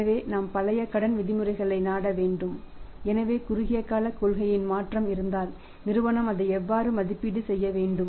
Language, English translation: Tamil, So, we have to resort to the old credit terms so if there is a short term policy change then how the firm has to evaluated it